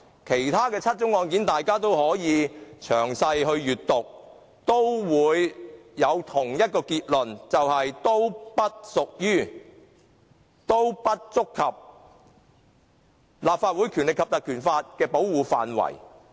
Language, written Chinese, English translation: Cantonese, 如果大家詳細閱讀其他7宗案件，也會得出同一結論，同意他們都不屬於、不觸及《立法會條例》的保護範圍。, If we study the other seven incidents carefully we will arrive at the same conclusion agreeing that they do not reach or fall within the ambit of protection offered by the Ordinance